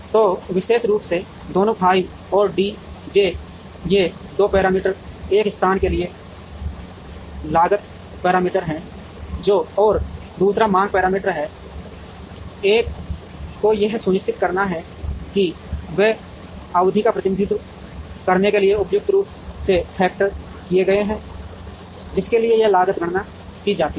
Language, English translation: Hindi, So, both f i and D j particularly, these 2 parameters one is the cost parameter for location and the other is the demand parameter, the one has to make sure that, they are factored suitably to represent the period, for which this cost is computed